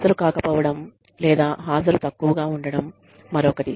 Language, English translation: Telugu, Absence or poor attendance, is another one